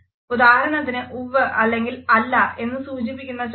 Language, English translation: Malayalam, For example, the gestures indicating yes and no